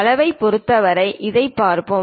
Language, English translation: Tamil, For size let us look at it